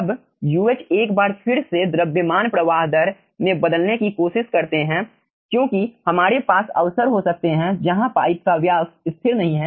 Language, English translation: Hindi, once again, let us try to convert it into mass flow rate, because we can have occurrences where pipe diameter is not constant